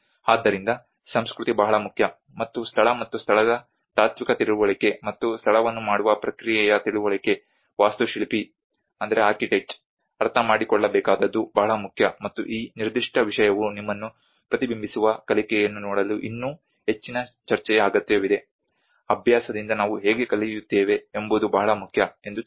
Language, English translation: Kannada, So the culture is very important, and understanding of the philosophical understanding of place and space and the process of making a place is very important that an architect has to understand and this particular subject needs even further more debate to actually look at a reflective learning you know how we learn from the practice is very important